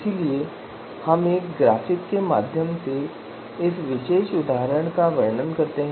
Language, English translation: Hindi, So we describe this particular example through a graphic